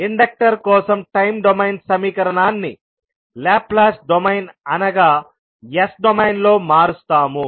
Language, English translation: Telugu, So, we will convert this time domain equation for inductor into Laplace domain that is s domain